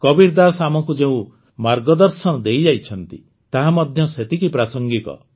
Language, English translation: Odia, The path shown by Kabirdas ji is equally relevant even today